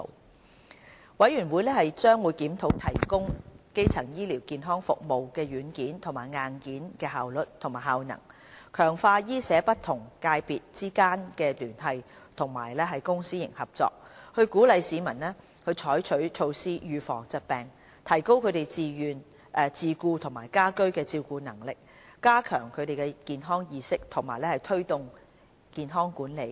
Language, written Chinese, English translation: Cantonese, 督導委員會將會檢討提供基層醫療健康服務的軟件和硬件的效率及效能、強化醫社不同界別之間的聯繫及公私營合作、鼓勵市民採取措施預防疾病、提高他們的自顧和家居照顧能力、加強他們的健康意識及推動健康管理。, It will review the efficiency and effectiveness of the software and hardware for the delivery of primary health care services enhance coordination among various medical and social sectors and public - private partnership PPP encourage the public to take precautionary measures against diseases strengthen their capabilities in self - care and home care raise their health awareness and promote health management